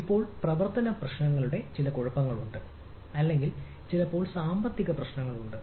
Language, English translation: Malayalam, now there are issues of operational issues, or sometimes there are economical issues